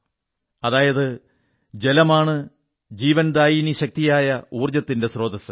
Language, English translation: Malayalam, Meaning that it is water which is the life force and also, the source of energy